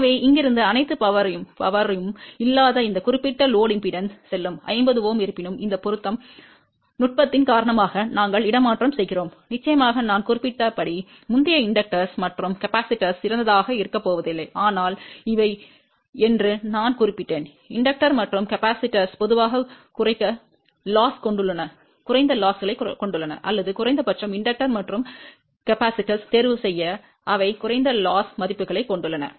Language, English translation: Tamil, So, from here all the power will go to this particular load impedance which is not 50 Ohm, yet because of this matching technique, we have transferring of course, as I mentioned earlier inductors and capacitors are not going to be ideal but I did mention that these inductors and capacitors have generally low losses or at least chose inductor and capacitor which have a low loss values